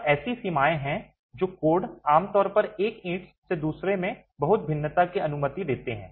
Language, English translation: Hindi, And there are limits that codes typically allow on how much variation is allowed from one brick to another within a lot